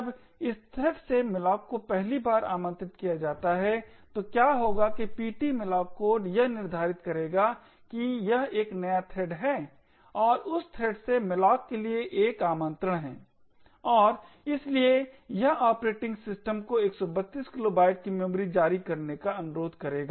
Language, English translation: Hindi, When the malloc from this thread gets invoked for the 1st time what would happen is that the ptmalloc code would determining that this is a new thread and is the 1st invocation to malloc from that thread and therefore it will request the operating system to issue another 132 kilobytes of memory